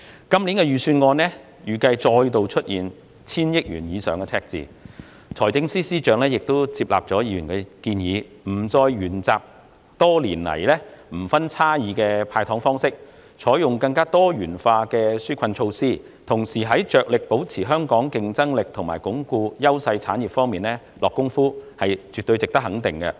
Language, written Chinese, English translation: Cantonese, 今年的預算案預計再度出現千億元以上的赤字，財政司司長亦接納了議員的建議，不再沿用多年來的"無差別派糖"方式，而是採用更多元化的紓困措施，同時致力保持香港的競爭力和鞏固優勢產業，這絕對值得肯定。, This years Budget once again forecasts a deficit of over a hundred billion dollars . Instead of continuing the long - standing practice of handing out candies indiscriminately FS has accepted Members suggestions and put forward a wide variety of relief measures while endeavouring to maintain Hong Kongs competitiveness and consolidate our pillar industries . These efforts should definitely be acknowledged